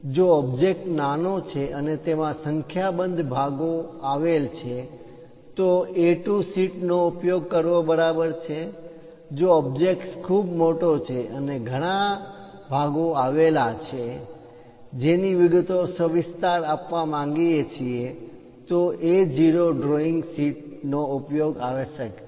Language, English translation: Gujarati, If the object is small and small number of elements are involved in that, is ok to use A2 sheet; if the object is very large and have many components would like to give detailed expressions details, then A0 is required